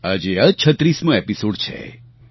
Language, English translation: Gujarati, This is the 36th episode today